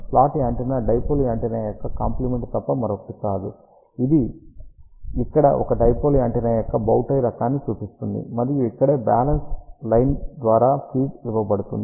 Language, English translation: Telugu, Slot antenna is nothing but a compliment of dipole antenna this one shows over here a bow tie type of a dipole antenna, and this is where it is being fed by balance line